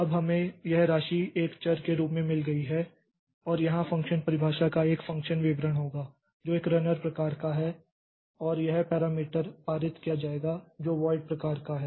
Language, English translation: Hindi, Now we have got this sum as a variable and we will have a function description function definition here which is runner void and this is the one parameter will be passed which is of type void